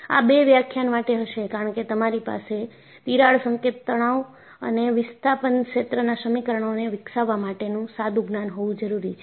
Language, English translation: Gujarati, That will be for two lectures because you need to have this background, for developing Crack tip stress and Displacement field equations